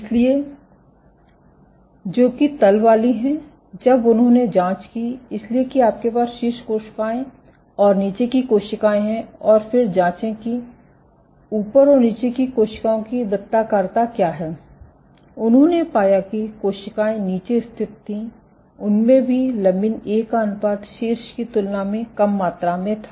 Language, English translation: Hindi, So, the ones at the bottom, so they checked; so you have the top cells and the bottom cells and then the check what is the circularity of the cells at the top and the bottom and they found, but the cells which were at the bottom also expressed lesser amount of lamin A ratio was less compared to those at the top ok